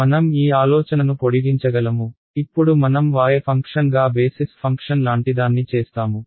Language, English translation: Telugu, I can extend this idea supposing now I do something like basis function a as a function of y